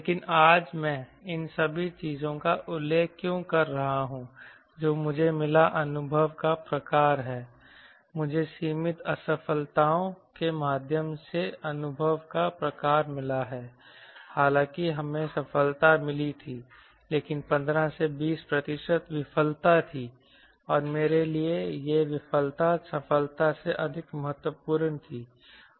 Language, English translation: Hindi, but why today i am mentioning all these thing, if the type of experience i got, type of experience, i got through limited failures, you, although we had success, but there were fifteen to twenty percent failure and for me that failure was more important than the success we had